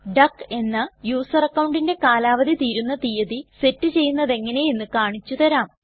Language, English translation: Malayalam, Let me show you how to set a date of expiry for the user account duck